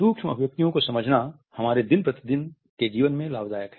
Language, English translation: Hindi, Understanding micro expressions is beneficial in our day to day life